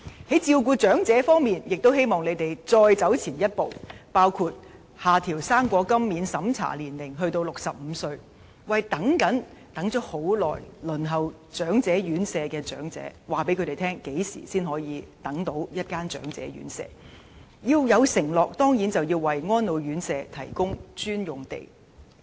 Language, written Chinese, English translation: Cantonese, 在照顧長者方面，我們亦希望政府再走前一步，包括下調"生果金"免審查年齡至65歲，以及對長者有所承諾，包括為安老院舍提供專用地，從而可告訴長期輪候長者院舍的長者何時才可獲配宿位。, As regards caring for the elderly we also hope that the Government will take another step forward such as lowering the age for the non - means tested Old Age Allowance to age 65 and make certain commitments to the elderly including providing dedicated sites for residential care homes for the elderly so that we can tell elderly people waiting for places in residential care homes for a long time when places are available